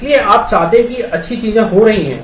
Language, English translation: Hindi, So, you want that well things are happening